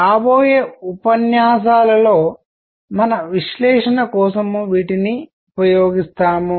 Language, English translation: Telugu, We will use these for our analysis in coming lectures